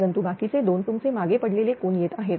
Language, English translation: Marathi, But other two is your is coming lagging angle right